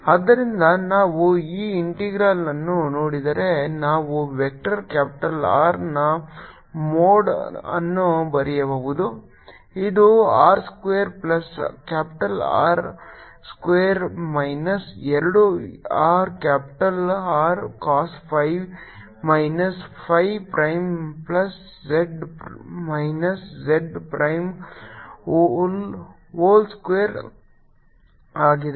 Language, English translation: Kannada, so if we see this integral, it can write vector mode of vector capital r, which is r square capital r square minus two r capital r, cos phi minus phi prime, z minus z prime